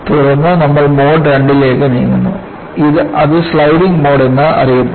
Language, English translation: Malayalam, Then, we move on to Mode II, which is also known as a Sliding Mode